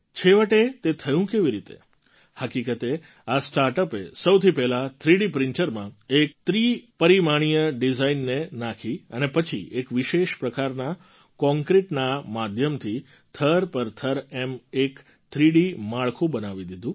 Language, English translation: Gujarati, Actually, this startup first of all fed a 3 Dimensional design in a 3 D printer and then through a concrete of a special kind fabricated a 3 D structure layer by layer